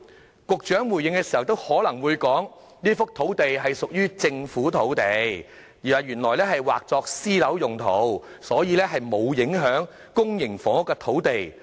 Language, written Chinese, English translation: Cantonese, 稍後局長回應時，可能又會說這幅土地屬於政府土地，原本劃作私樓用途，所以並無影響公營房屋土地。, The Secretary may reply later on that this is a piece of Government land originally intended for private residential use so the site selection did not affect the land supply for public housing